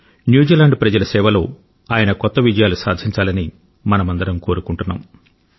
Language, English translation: Telugu, All of us wish he attains newer achievements in the service of the people of New Zealand